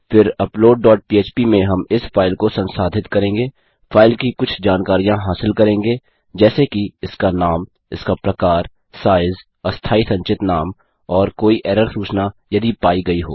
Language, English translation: Hindi, Then in upload dot php we will process this file, get some information about the file like its name, its type, size, temporary stored name and any error messages that have occurred